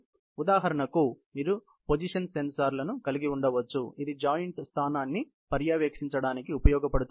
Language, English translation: Telugu, So, for example, you can have a position sensor, which is used to monitor the position of joints